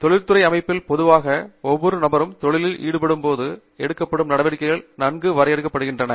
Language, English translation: Tamil, In the industrial setting, typically, the activities that each person carries out in the industry is actually well defined